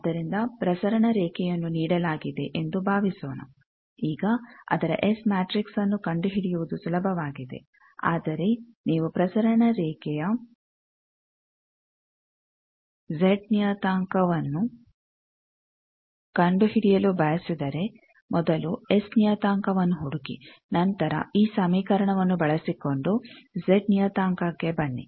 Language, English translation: Kannada, So, suppose A transmission line is given, now its S matrix is easier to find, but if you want to find Z parameter of a transmission line, first find S parameter come to Z parameter by using this equation